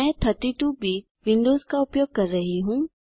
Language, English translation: Hindi, I am using 32 bit Windows